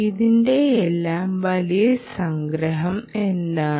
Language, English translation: Malayalam, what is the big summary of all this